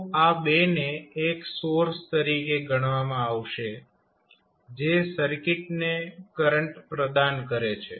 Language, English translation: Gujarati, So, these 2 would be considered as a source which provide current to the circuit